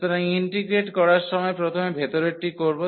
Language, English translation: Bengali, So, while integrating the inner one first